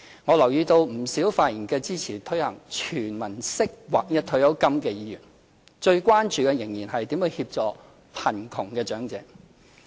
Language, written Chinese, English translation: Cantonese, 我留意到不少發言支持推行"全民式"劃一退休金的議員，最關注的仍是如何協助貧窮長者。, As I have noticed among many Members who have spoken in support of a uniform payment granted universally to the people the question of assisting the elderly in poverty still come first on the agenda